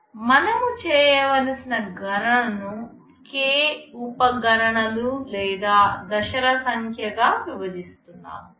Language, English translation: Telugu, We partition a computation that is being carried out into k number of sub computations or stages